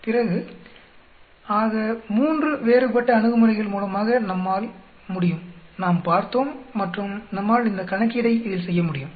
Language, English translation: Tamil, Then so three different approaches by which we can we seen and we can do this problem in that